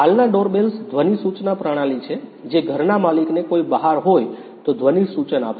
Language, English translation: Gujarati, The present day doorbells are sound notification system which will give a sound notification to the owner of the house if somebody is outside